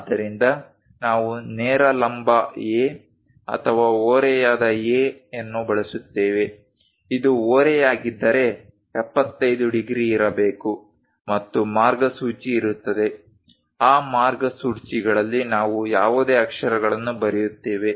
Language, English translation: Kannada, So, either we use straight vertical A or an inclined A; if this is inclined is supposed to be 75 degrees, and there will be a guide lines, in that guide lines we draw any lettering